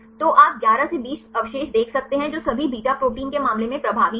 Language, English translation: Hindi, So, you can see 11 to 20 residues that is the dominance in case of all beta proteins